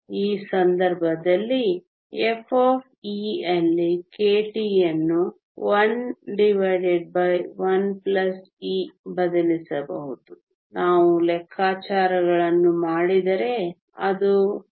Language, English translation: Kannada, In this case f of e can substitute k t there 1 over 1 plus exponential of 1 if we do the calculations that is 0